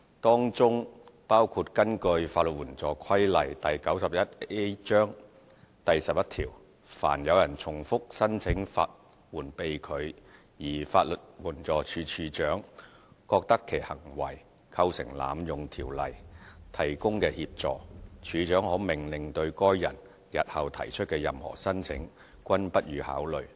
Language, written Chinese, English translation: Cantonese, 當中包括根據《法律援助規例》第11條，凡有人重複申請法援被拒，而法律援助署署長覺得其行為構成濫用《條例》提供的協助，署長可命令對該人日後提出的任何申請，均不予考慮。, Among the provisions regulation 11 of the Legal Aid Regulations Cap . 91A prescribes that when a person has applied for and been refused legal aid services repeatedly and it appears to the Director of Legal Aid that hisher conduct has amounted to an abuse of the facilities provided by the Ordinance the Director may order that no consideration shall be given to any future application by that person